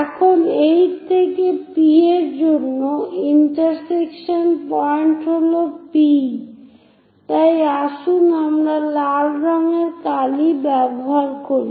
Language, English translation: Bengali, Now the intersection points for 8 to P is P, so let us use red color ink